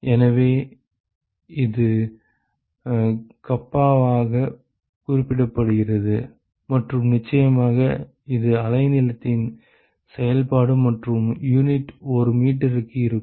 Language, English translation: Tamil, So, it is represented as kappa and of course, it is the function of the wavelength and the units are per meter